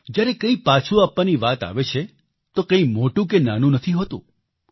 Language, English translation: Gujarati, When it comes to returning something, nothing can be deemed big or small